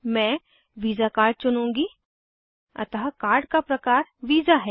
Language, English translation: Hindi, I will choose this visa master, So card type is Visa